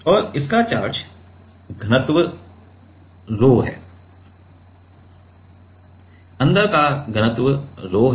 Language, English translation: Hindi, And it has a charge density of rho; charge density of rho inside